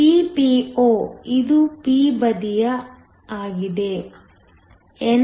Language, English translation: Kannada, Ppo which is the p side, NA